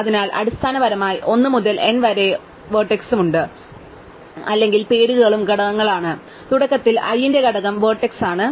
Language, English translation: Malayalam, So, basically 1 to n has the vertices 1 to n or also names are components, and initially the component of i, the vertex